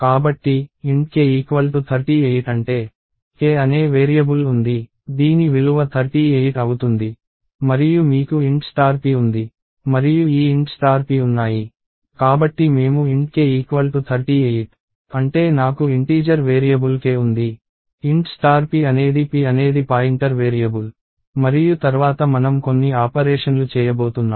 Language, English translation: Telugu, So, int k equals 38 which means, there is a variable called k, whose values is going to be 38 and you have int star p and this int star p, so I have int k equals 38 which means I have an integer variable called k, int star p is a pointer variable called p and then we are going to do some operations later